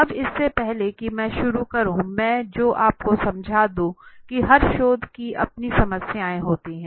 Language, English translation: Hindi, Now before I start with I what you to understand every research has got its own problems right